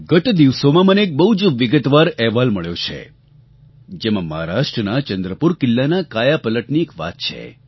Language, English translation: Gujarati, A few days ago I received a very detailed report highlighting the story of transformation of Chandrapur Fort in Maharashtra